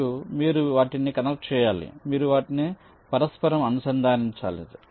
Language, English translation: Telugu, you will have to interconnect them